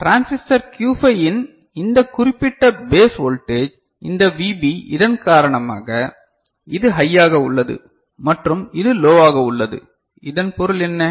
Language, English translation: Tamil, Because of which this Vb, this particular base voltage of transistor Q 5 ok, this is high and this is low, what does it mean